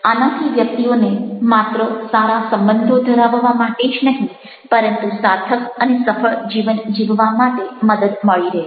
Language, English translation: Gujarati, this will help individuals not only to have good relationship with others, but also to lead a meaningful and successful life